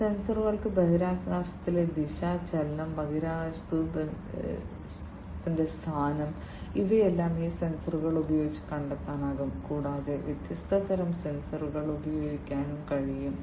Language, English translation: Malayalam, These sensors can detect the motion the direction in space, motion, space, you know, the position in space, all these things can be detected using these sensors and there could be different )different) types of sensors that would be used